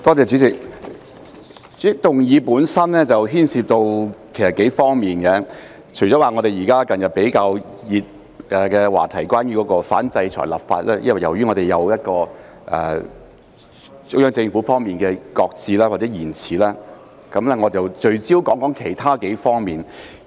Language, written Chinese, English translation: Cantonese, 主席，其實議案本身牽涉到數方面，除了近日比較熱門的話題，即反制裁立法，由於中央政府方面的擱置或延遲，我聚焦說說其他幾方面。, President actually the motion involves several aspects . Apart from a relatively hot topic in recent days namely the anti - sanctions legislation which has been shelved or postponed by the Central Government I would like to focus on several other aspects